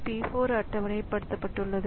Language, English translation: Tamil, So, P4 is scheduled